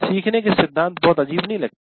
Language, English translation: Hindi, The principles of learning do not look very odd